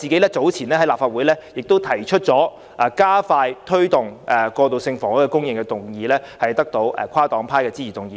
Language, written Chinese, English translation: Cantonese, 我早前在立法會亦提出加快推動過渡性房屋供應的議案，並得到跨黨派議員的支持通過。, Earlier on I also proposed a motion on expediting transitional housing supply in the Legislative Council which was passed with the support of Members from different political parties and groupings